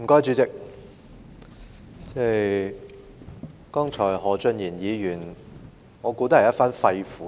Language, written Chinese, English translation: Cantonese, 主席，我想何俊賢議員剛才說的也是一番肺腑之言。, President I believe Mr Steven HO did speak sincerely just now